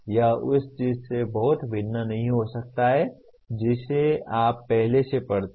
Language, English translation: Hindi, It may not differ very much from something that you already read